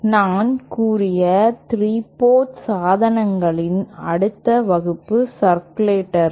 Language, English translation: Tamil, The next class of 3 port devices that I stated was circulators